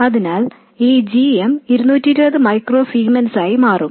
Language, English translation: Malayalam, So this GM will turn out to be 220 microcements